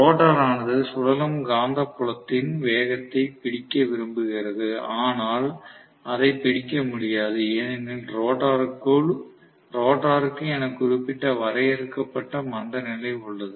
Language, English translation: Tamil, The rotor is wanting to catch up with the magnet, but it cannot catch up with the magnet which is created by the revolving magnetic field because the rotor has a finite inertia